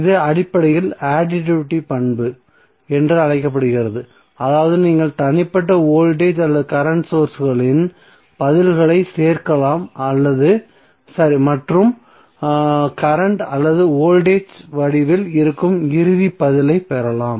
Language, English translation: Tamil, So this is basically called as a additivity property means you can add the responses of the individual voltage or current sources and get the final response that may be in the form of current or voltage